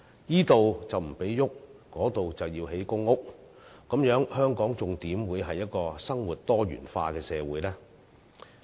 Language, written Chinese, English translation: Cantonese, 若這裏不許動，那裏要興建公屋，這樣的話香港還怎可以是一個生活多元化的社會呢？, If these sites cannot be developed while those sites have to be reserved for construction of public housing how can Hong Kong become a diversified society?